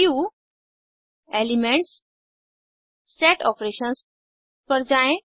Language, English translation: Hindi, Go to Viewgt Elementsgt Set Operations